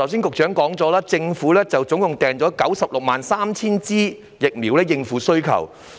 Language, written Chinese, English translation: Cantonese, 局長剛才說，政府總共預訂了963000劑疫苗來應付需求。, The Secretary said that the Government had procured a total of 963 000 doses of vaccines to meet the demand